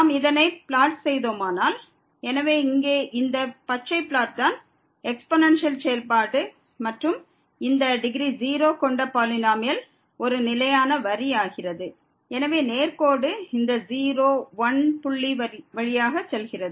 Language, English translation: Tamil, And if we plot this, so this is the green plot here of the exponential function and this polynomial of degree 0 is just a constant line; so the straight line going through this point